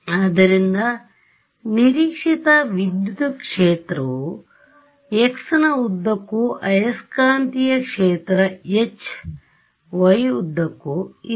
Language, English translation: Kannada, So, my as expected electric field is along x hat magnetic field is along y hat ok